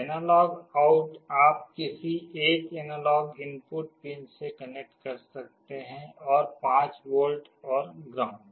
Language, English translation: Hindi, The analog out you can connect to one of the analog input pins and 5 volts and ground